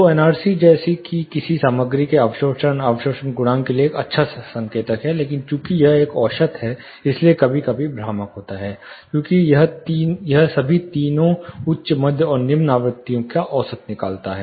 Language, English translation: Hindi, So, NRC as such is a good indicator for absorption, absorption coefficient of a material, but since it is an average, it sometimes is misleading, because it averages out both high mid and, all the three high mid and low frequencies